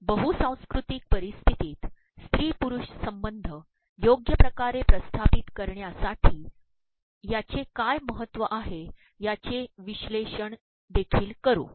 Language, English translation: Marathi, We would also analyze what is the significance of haptics in establishing appropriate and acceptable gender relationship in a multicultural setting